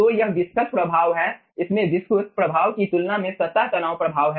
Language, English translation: Hindi, so this is having the viscous effect, this is having the surface tension effect